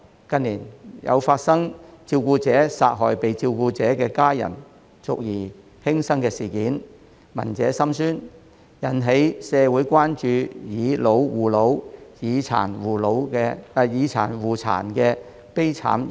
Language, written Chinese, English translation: Cantonese, 近年，有發生照顧者殺害被照顧的家人繼而輕生的事件，聞者心酸，引起社會關注"以老護老"、"以殘護殘"的悲慘現象。, In recent years incidents have occurred in which the carer committed suicide after killing the family member being taken care of . While it is heartbreaking to hear of these incidents they have aroused social concern about the tragic phenomena of seniors caring for seniors and seniors caring for persons with disabilities PWDs